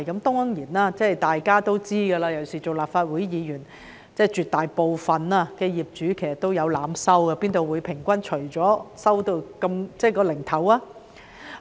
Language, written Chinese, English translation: Cantonese, 當然大家也知道，尤其作為立法會議員更為清楚，絕大部分業主也有濫收，否則怎會平均計算後總是得出"齊頭數"。, Of course we all know particularly as Members of the Legislative Council that most landlords would overcharge various fees . Otherwise it would not have been possible for the amount to always be rounded to a whole number after average calculations